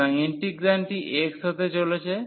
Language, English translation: Bengali, So, our integrand is going to be x now